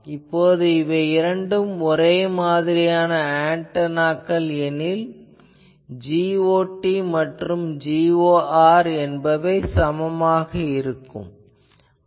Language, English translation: Tamil, Now if two identical antenna means my G ot and G or are same